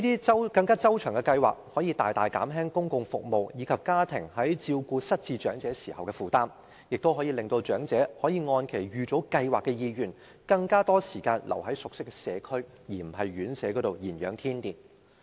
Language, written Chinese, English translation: Cantonese, 這些周詳的計劃可以大大減輕公共服務，以及家庭在照顧失智長者時的負擔，亦令長者可以按其預早計劃的意願，花更多時間留在熟悉的社區，而不是在院舍頤養天年。, Such thorough plans can greatly reduce the burden on public service and that on families looking after the demented elderly . The elderly can also follow their prior plan as they wish on spending more time in the community with which they are familiar rather than passing the rest of their lives in residential care homes